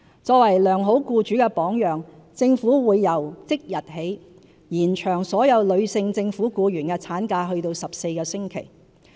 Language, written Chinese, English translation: Cantonese, 作為良好僱主的榜樣，政府會由即日起延長所有女性政府僱員的產假至14星期。, To set an example of a good employer the Government will extend the maternity leave for all female employees of the Government to 14 weeks with immediate effect